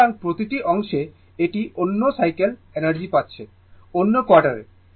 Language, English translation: Bengali, So, this each part, it is receiving energy another cycle another quarter